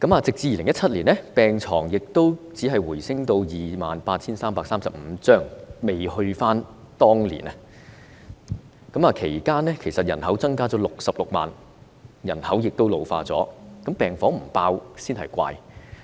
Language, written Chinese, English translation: Cantonese, 直至2017年，只是回升至 28,335 張病床，仍未回復到當年的水平，其間人口卻增加了66萬，人口亦老化，病房不爆滿才怪。, The number of beds only increased to 28 335 in 2017 but it was still lower than the previous level . During the interim period the population was ageing and increased by 660 000 hence it is not surprising that wards are packed with patients